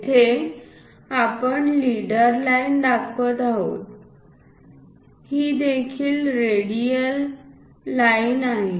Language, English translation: Marathi, Here we are showing leader line this is also a radial line